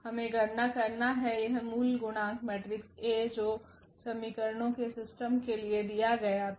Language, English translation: Hindi, We have to compute the; this original coefficient matrix A which was given for the system of equations